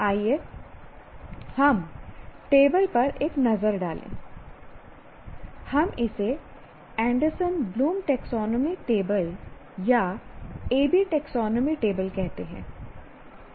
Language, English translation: Hindi, We call it Anderson Bloom taxonomy table or just merely A B taxonomy table